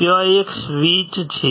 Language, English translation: Gujarati, there is a switch